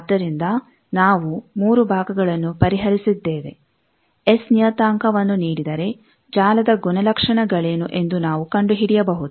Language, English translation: Kannada, So, we have solved the 3 part, given the S parameter we can find out wave what is the property of the network